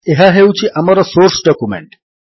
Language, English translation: Odia, This is our source document